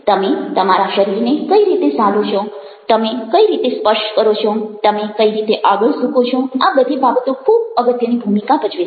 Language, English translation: Gujarati, again, with postures, the way you hold your body, the way you slouch, the way you lean forward, these thinks play very significant role